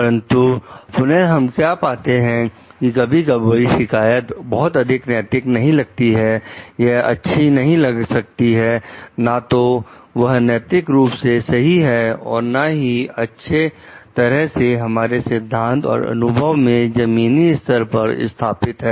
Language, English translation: Hindi, But again, what we find like sometimes complaints could be not very ethically sound; it could be not well; not ethically sound or not well founded in our very grounded in the theory or experience